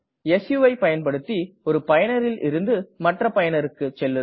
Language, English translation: Tamil, su command to switch from one user to another user